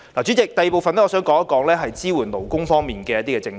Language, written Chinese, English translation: Cantonese, 主席，第二部分，我想談談支援勞工方面的政策。, President in the second part of my speech I wish to talk about policies in support of workers